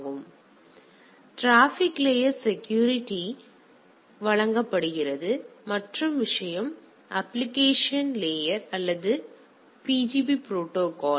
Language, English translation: Tamil, So, this provides a security at the transport layer the other thing is the application layer or PGP protocol